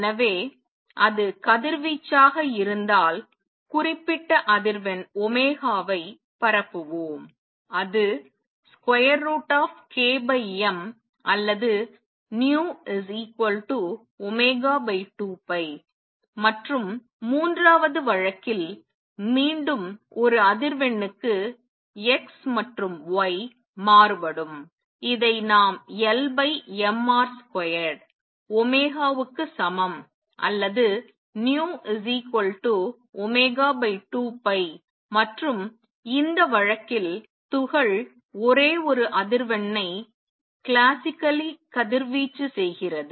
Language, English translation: Tamil, So, if it were to radiate we will radiate that particular frequency omega which is square root of k over m or nu equals omega over 2 pi, and in the third case again x and y vary with one frequency, which we can write as L the angular momentum over m R square equals omega or nu equals omega over 2 pi and in this case also the particle classically radiates only one frequency